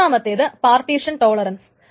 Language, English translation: Malayalam, And the third one is partition tolerance